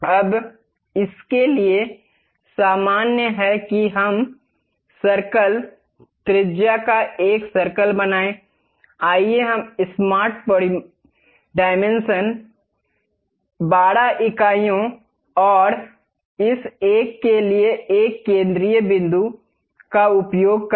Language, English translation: Hindi, Now, normal to that let us draw circles, a circle of radius; let us use smart dimension 12 units and this one center point to this one